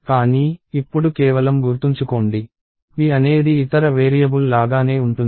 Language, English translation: Telugu, But, as of now just remember that p is just like any other variable